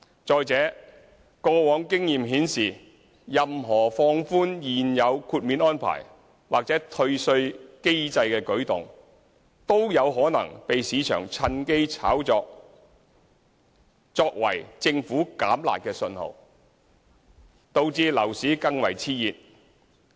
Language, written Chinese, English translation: Cantonese, 再者，過往經驗顯示，任何放寬現有豁免安排或退稅機制的舉動均可能被市場趁機炒作成政府"減辣"的信息，導致樓市更為熾熱。, Furthermore past experiences indicate that any move to relax the prevailing exemption arrangements or refund mechanism may be speculated by the market as a signal from the Government to water down the demand - side management measures thereby resulting in a more exuberant market